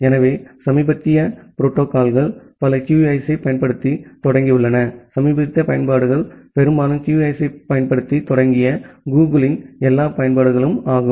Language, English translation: Tamil, So, many of the recent protocols have started using QUIC, recent applications are mostly all the applications from Google they have started using QUIC